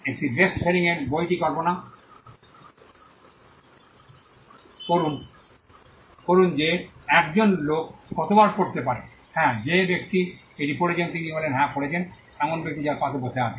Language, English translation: Bengali, Imagine a bestselling book how many people can read that book at 1 time; yes the person whose reading it the another person who is sitting next to the person who is also reading it yes